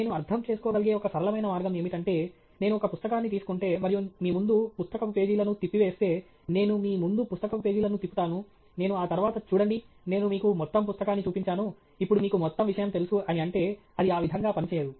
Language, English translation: Telugu, And a simple way you can understand that is if I take a book, and I simply flash the pages of the book in front of you, I just, you know, twirl the pages of the book in front of you; I cannot just finish of by saying look, I showed you the entire book, now you know the whole subject right; it doesn’t work that way